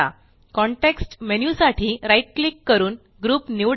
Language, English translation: Marathi, Right click for context menu and select Group